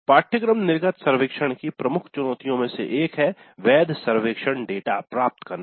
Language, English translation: Hindi, Now one of the key challenges with the course exit survey would be getting valid survey data